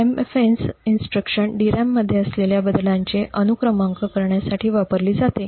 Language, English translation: Marathi, The MFENCE instruction is used to serialize the transfers to the DRAM